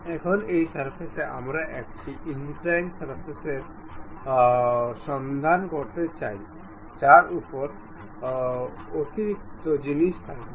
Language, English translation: Bengali, Now, on this surface, we would like to have a inclined surface on which there will be additional thing